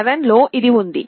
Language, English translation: Telugu, This was what was there in ARM7